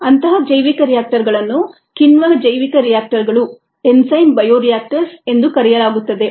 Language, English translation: Kannada, such bioreactors are called enzyme bioreactors